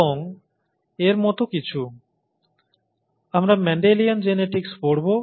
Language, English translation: Bengali, And something like this, you know, we will be looking at Mendelian genetics